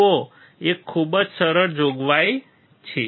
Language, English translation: Gujarati, See there is a very easy provision